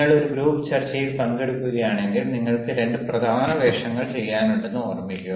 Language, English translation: Malayalam, but remember, if you are participating in a group discussion, you have two major roles to play